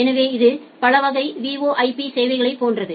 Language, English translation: Tamil, So, it is just like multi class of VoIP services